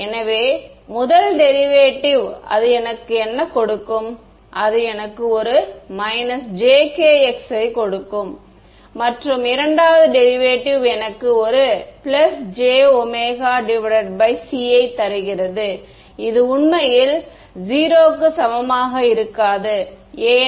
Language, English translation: Tamil, So, the first derivative what will it give me, it will give me a minus j k x and the second derivative gives me a plus j omega by c right and this is actually not equal to 0 why